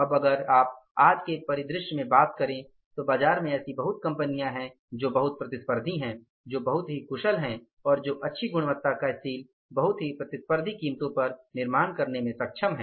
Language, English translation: Hindi, But now if you talk today's scenario, number of companies are there in the market who are very, very competitive, who are very, very efficient, who are able to manufacture very good quality of the steel at a very competitive prices